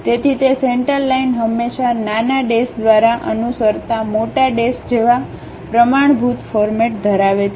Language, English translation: Gujarati, So, that center line always be having a standard format like big dashes followed by small dashes